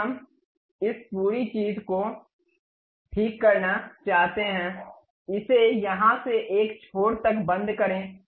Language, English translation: Hindi, Now, we want to really fix this entire thing, lock it from here to one of the end